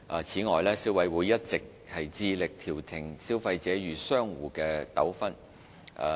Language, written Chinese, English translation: Cantonese, 此外，消委會一直致力調停消費者與商戶的糾紛。, CC also makes every effort in acting as a conciliator to resolve disputes between traders and complainants